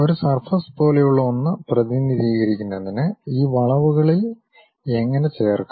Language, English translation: Malayalam, How to join these curves to represent something like a surface